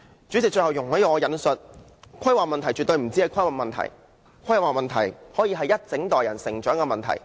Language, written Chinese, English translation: Cantonese, 主席，最後容許我重複，規劃問題絕對不止是規劃問題，規劃問題可以是一整代人成長的問題。, President let me repeat that planning problems are definitely not just problems in planning . Instead they can become development problems for a whole generation